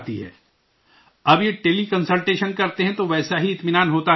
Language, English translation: Urdu, Now if they do Tele Consultation, do you get the same satisfaction